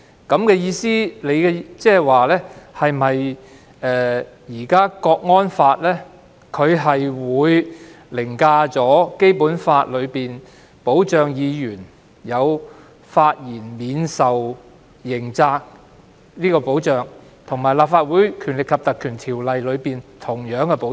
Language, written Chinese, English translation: Cantonese, 你的意思是否指，現時《港區國安法》會凌駕於《基本法》當中對於議員發言免受刑責的保障，以及《立法會條例》當中的同樣保障？, Do you mean that the National Security Law for HKSAR will now override the protection of immunity from criminal liability in relation to Members remarks under the Basic Law and the same protection under the Legislative Council Ordinance?